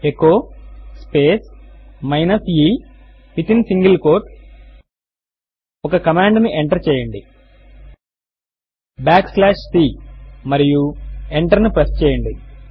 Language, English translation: Telugu, Type at the prompt echo space minus e within single quote Enter a command back slash c and press enter